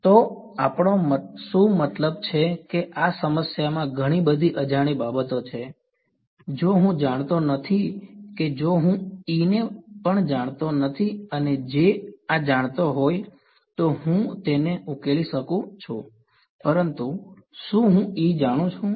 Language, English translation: Gujarati, So, what can we I mean there are too many unknowns in this problem if I do not know the if I do not know E also and J this know I can solve it, but do I know E